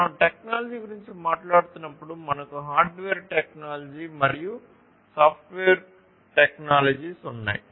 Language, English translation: Telugu, So, when we are talking about technology basically we have the hardware technology and the software technologies, right